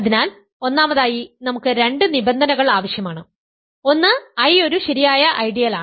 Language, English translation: Malayalam, So, first of all we need two conditions: one is that I is a proper ideal